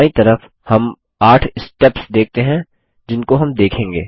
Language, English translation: Hindi, On the left, we see 8 steps that we will go through